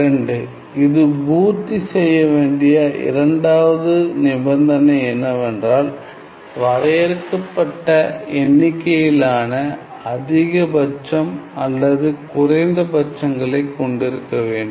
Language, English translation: Tamil, And the second condition that it must satisfy is that f has finite number of finite number of maxima or minima right